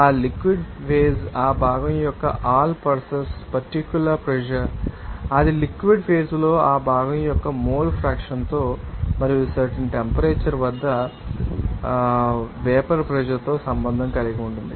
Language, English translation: Telugu, That you know that liquid phase will be all purpose particular pressure of that component, you know that will be related to this you know that mole fraction of that component in the liquid phase and vapour pressure of the component at that particular temperature